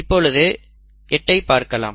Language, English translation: Tamil, Let us look at 8 here